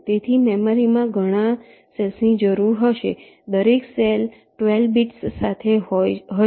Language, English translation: Gujarati, so the memory required will be so many cells, each cell with twelve bits